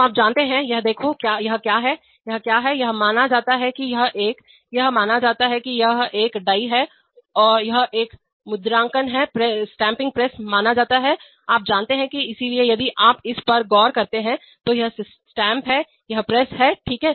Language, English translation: Hindi, So you know, look at this is, what is, what is it, it is supposed to be a, it is supposed to be a die, it is supposed to be a stamping press, you know, so if you look at this then, so this is the stamp, this is the press, okay